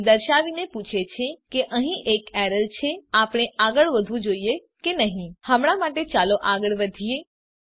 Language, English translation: Gujarati, indicating that there is an error asking should we proceed or not For now let us proceed